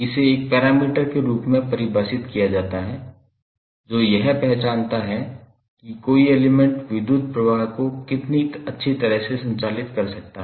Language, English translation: Hindi, Now, it is defined as a major of how well an element can conduct the electric current